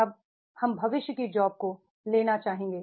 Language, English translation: Hindi, Now we will like to take the future jobs